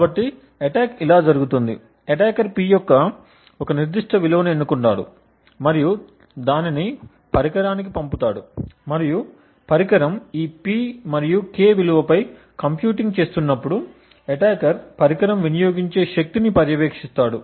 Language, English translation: Telugu, So, the attack goes like this, the attacker chooses a particular value of P and sends it to the device and while the device is computing on this P and K value, the attacker has monitored the power consumed